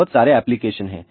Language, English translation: Hindi, There are lots of application